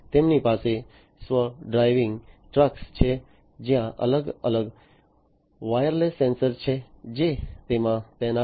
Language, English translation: Gujarati, They have self driving trucks, where there are different wireless sensors, that are deployed in them